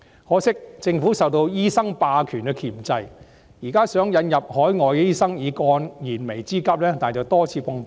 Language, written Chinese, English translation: Cantonese, 可惜，政府受到醫生霸權的箝制，現在想引入海外醫生以解燃眉之急，但卻多次碰壁。, Regrettably the Government has been constrained by doctors hegemony . Now it wishes to introduce overseas doctors to resolve the pressing need but it has been rebuffed repeatedly